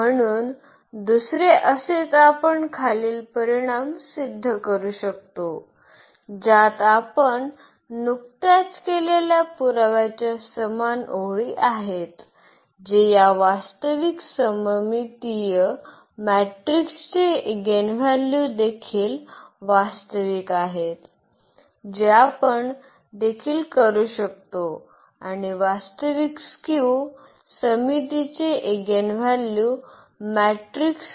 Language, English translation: Marathi, So, another similarly we can prove these following results which have the similar lines of the proof which we have just done, that the eigenvalues of this real symmetric matrix are also real that is what we can also do and the eigenvalues of real a skew symmetric matrix